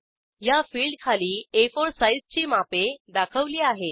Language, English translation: Marathi, Below this field the dimensions of A4 size are displayed